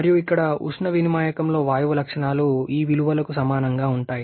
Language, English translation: Telugu, 333 and gas in heat exchanger here the properties are similar to these values